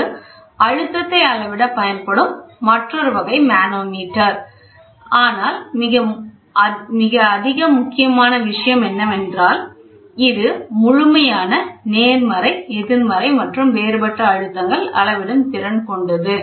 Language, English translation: Tamil, It is another type of manometer which is used to measure the pressure, but the most important point is it is capable of measuring absolute, positive, negative and differential pressure